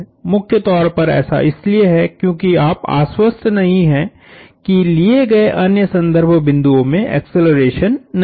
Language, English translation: Hindi, Primarily, because you are not guaranteed that those other points of reference are non accelerating